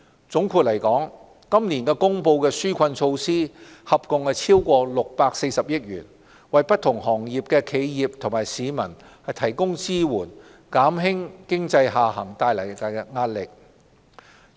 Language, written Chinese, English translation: Cantonese, 總括而言，今年公布的紓困措施合共超過640億元，為不同行業的企業和市民提供支援，減輕經濟下行造成的壓力。, In short relief measures amounting to over 64 billion have been announced this year to help enterprises and residents from different sectors to ease the pressure brought about by the economic downturn